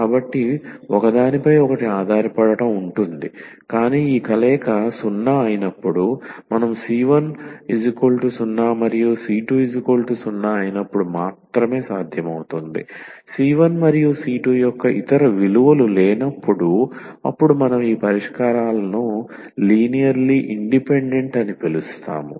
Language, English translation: Telugu, So, there will be dependency on each other, but when we talk about that when this combination is 0 this is only possible when c 1 is 0 and c 2 is 0 there is no other possible values of c 1 and c 2 then we call that these solutions are linearly independent